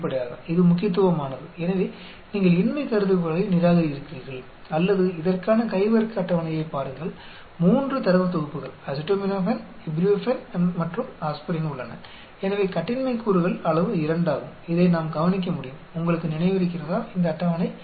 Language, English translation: Tamil, Obviously, it is significant so you reject the null hypothesis or you look at the chi square table for this is a 3 data sets are there acetaminophen, ibuprofen and aspirin so the degrees of freedom is 2, we can look into this, you remember this table